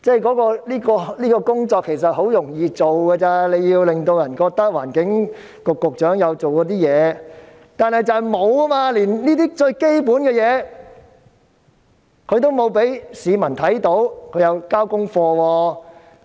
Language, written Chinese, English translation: Cantonese, 其實，這些工作很容易處理，令市民覺得環境局局長有做事，但局長連這些最基本的事情也沒有做，讓市民看到他有交功課。, In fact these are but simple tasks which can give members of the public an impression that the Secretary for the Environment has done his work . But the Secretary has failed to do even the most basic things and show people what he has accomplished